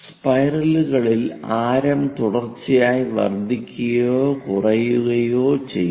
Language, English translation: Malayalam, In spirals, the radius is continuously increasing or decreasing